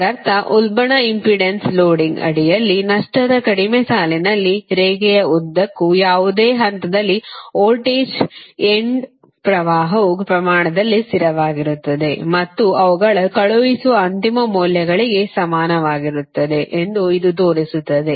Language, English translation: Kannada, that means it shows that in a loss less line under surge impedance loading, the voltage end current at any point along the line, are constant in magnitude and are equal to their sending end values